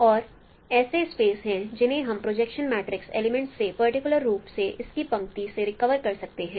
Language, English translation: Hindi, And there are also special planes which we can recover from the projection matrix as elements, particularly from its rows